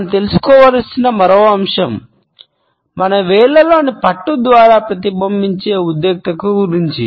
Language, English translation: Telugu, Another aspect we have to be aware of is the tension which is reflected through the grip in our fingers